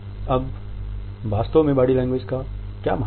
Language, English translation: Hindi, Now, what exactly is the significance of body language